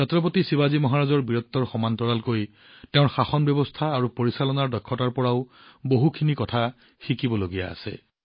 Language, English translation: Assamese, Along with the bravery of Chhatrapati Shivaji Maharaj, there is a lot to learn from his governance and management skills